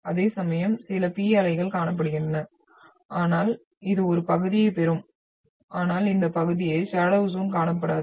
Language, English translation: Tamil, Whereas some P waves will be seen which will be getting in this one but leaving this part as in shadow zone